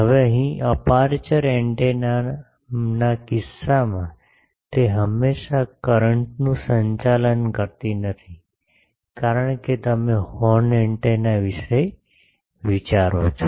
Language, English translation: Gujarati, Now here in aperture antenna case, it is not always conducting current, because you think of a horn antenna